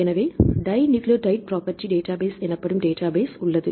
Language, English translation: Tamil, So, there is database called dinucleotide property database